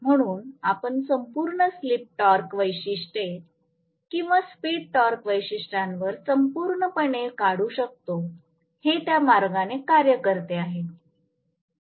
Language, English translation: Marathi, So, I can draw the entire slip torque characteristics on the whole or speed torque characteristics on whole as though this is the way it works